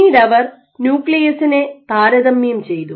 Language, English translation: Malayalam, So, what they then did they compared the nuclear